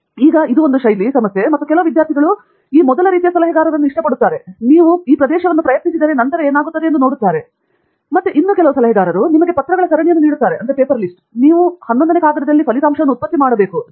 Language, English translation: Kannada, And now, again, it is again a style issue and a compatibility issue of which student kind of likes this first kind of advisor, who just says this area you try it and then see what happens; and the other advisor, who gives you a series of papers and says, you reproduce the result in the 11th paper